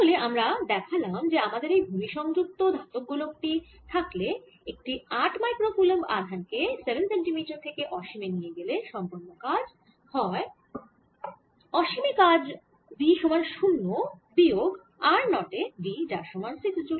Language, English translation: Bengali, so what we have shown is that if i have this metallic sphere which is grounded, and if i take this charge of eight microcoulombs from seven centimeters to infinity, the work done, which should be equal to v at infinity, potential energy at infinity minus v, at this point r zero is equal to six joules